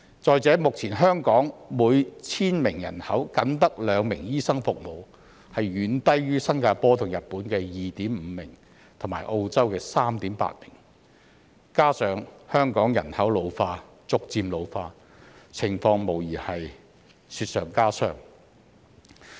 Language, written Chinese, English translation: Cantonese, 再者，目前香港每千名人口僅有兩名醫生，遠低於新加坡和日本的 2.5 名，以及澳洲的 3.8 名，加上香港人口逐漸老化，情況無疑是雪上加霜。, Moreover currently the number of doctors per 1 000 population in Hong Kong is only 2 which is much lower the ratio of 2.5 in Singapore and Japan and that of 3.8 in Australia . Coupled with the gradual ageing of our population the situation will be even worse